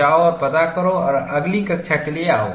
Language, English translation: Hindi, Go and brush up that, and come for the next class